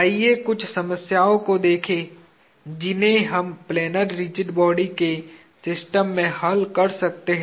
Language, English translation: Hindi, Let us look at a few problems that we can solve in systems of planar rigid bodies